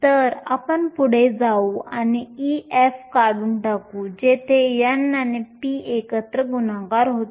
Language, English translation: Marathi, So, let us go ahead and eliminate Ef, where multiplying n and p together